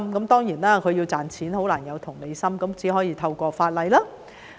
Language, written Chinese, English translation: Cantonese, 當然，他們要賺錢便難有同理心，只可以透過法例來做。, Of course it is difficult for those who always think about how to make more money to have empathy and we can only deal with them through legislation